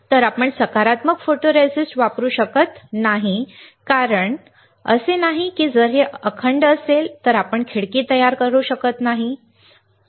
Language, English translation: Marathi, So, we cannot use positive photoresist, is it not because if this area is intact, we cannot create a window